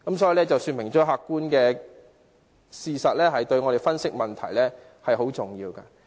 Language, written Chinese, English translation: Cantonese, 這事說明客觀事實對我們分析問題很重要。, As shown by this episode objective facts are crucial when it comes to analysing problems